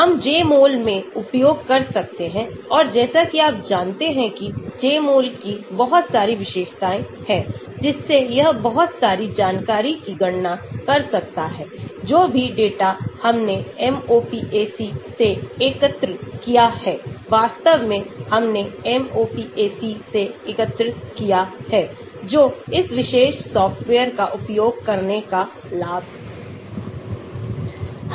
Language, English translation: Hindi, we can use in the Jmol and as you know Jmol has lot of features which it can calculate lot of information, whatever data which we have collected from MOPAC , actually we have collected from MOPAC that is the advantage of using this particular software